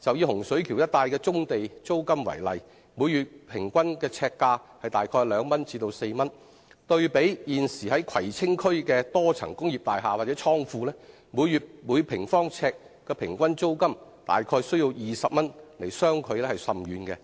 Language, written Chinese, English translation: Cantonese, 以洪水橋一帶的棕地租金為例，每月平均呎價為2元至4元，對比現時葵青區的多層工業大廈或倉庫每月每平方呎的平均租金約20元，相距甚遠。, For instance the average monthly per - square - foot rent for the brownfield sites in the area of Hung Shui Kiu is 2 to 4 far less than the existing average monthly per - square - foot rent of around 20 for the multi - storey industrial buildings or warehouses in the Kwai Tsing District